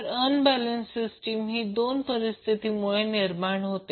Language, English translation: Marathi, So, unbalanced system is caused by two possible situations